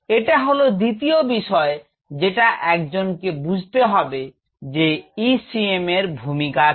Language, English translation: Bengali, This is second aspect what one has to understand that what the ECM does